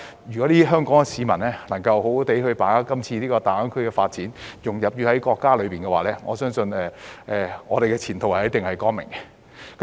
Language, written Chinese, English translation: Cantonese, 如果香港市民能夠好好把握今次大灣區的發展，融入國家，我相信我們的前途一定是光明的。, If Hong Kong people can grasp the development of GBA and integrate into the country I believe our future will definitely be bright